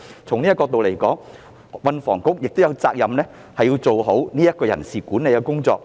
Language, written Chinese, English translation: Cantonese, 從這個角度而言，運房局有責任做好人事管理的工作。, From this perspective THB is duty - bound to do a better job in personnel management